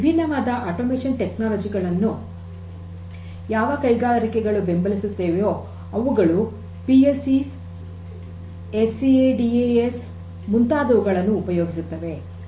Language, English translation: Kannada, Industries which support different automation technologies such as PLCs, SCADAs etc